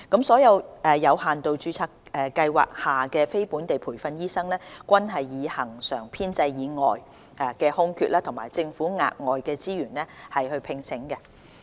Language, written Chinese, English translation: Cantonese, 所有有限度註冊計劃下的非本地培訓醫生，均是以恆常編制以外的空缺及政府額外資源聘請。, All posts held by non - locally trained doctors employed under the limited registration scheme are supernumerary posts created with additional government resources